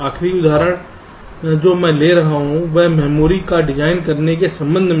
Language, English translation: Hindi, ok, the last example that i take here is with respect to designing memory